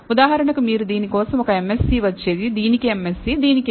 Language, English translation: Telugu, for example, you would have got a MSE for this, MSE for this, MSE for this